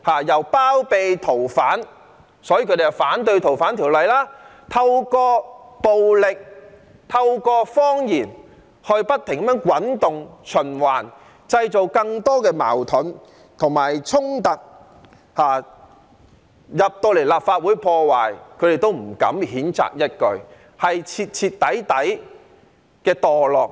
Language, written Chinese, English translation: Cantonese, 他們包庇逃犯，所以反對《逃犯條例》，透過暴力和謊言不停滾動、循環，製造更多矛盾及衝突，甚至有人闖進立法會大樓破壞，他們也不敢譴責一句，是徹徹底底的墮落。, They opposed the Fugitive Offenders Ordinance since they had to harbour fugitives . They created more conflicts and clashes through advocating violence and telling lies over and again . They have completely degenerated as they did not dare to condemn those people even when they broke into and vandalized the Legislative Council Complex